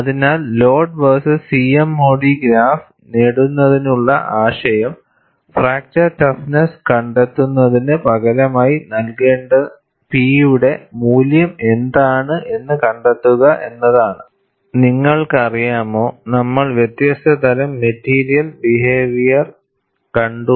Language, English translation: Malayalam, So, the idea of getting the load versus C M O D graph is to find out, what is the value of P that you should substitute, for finding out fracture toughness